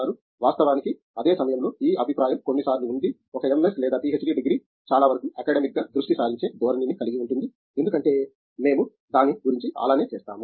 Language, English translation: Telugu, Of course, at the same time there is some times this impression that an MS degree or a PhD degree has a tendency to come across as being very academic, in the focus because that is how we go about it